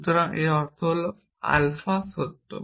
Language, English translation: Bengali, but if you have made alpha is true here